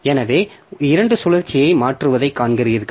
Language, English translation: Tamil, So, you see, just changing the loops